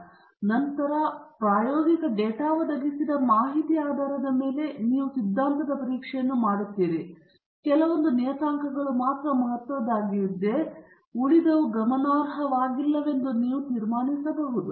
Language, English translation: Kannada, And then, based on the information provided by the experimental data, you do this hypothesis testing, and then you can conclude if some of the parameters alone are significant and the rest of them are not significant